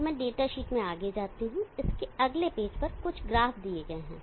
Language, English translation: Hindi, So let me go down the data sheet, so on the next page there is couple of graphs given